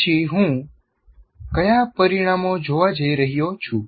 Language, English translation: Gujarati, And then what are the results that I'm going to look at